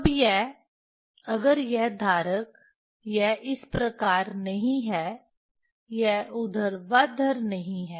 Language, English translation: Hindi, Now, this if this holder is not is not this way it is not say this vertical